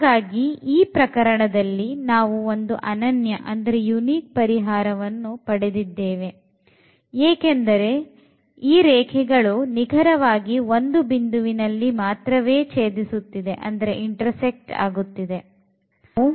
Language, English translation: Kannada, So, precisely in this case what we got we got the unique solution because these 2 lines intersect exactly at one point